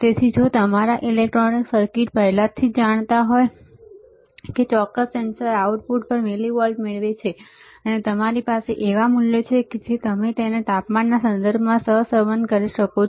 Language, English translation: Gujarati, So, if your if your electronic circuits already know that the millivolt obtained at the output of this particular sensor, and you have the values you can correlate it with respect to temperature